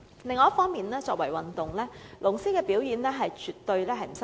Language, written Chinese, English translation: Cantonese, 另一方面，作為一項運動，龍獅表演絕不失禮。, On the other hand as a sports event the performances of dragon and lion dance teams do not disgrace us at all